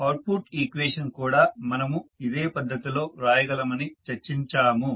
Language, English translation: Telugu, We also discussed that the output equation we can write in the similar fashion